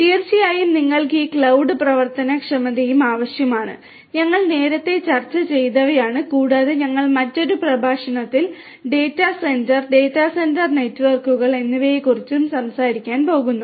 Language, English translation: Malayalam, Of course, you need to have this cloud enablement and cloud enablement is, what we have already discussed earlier and we have we are also going to talk about data centre data centre networks and so on in another lecture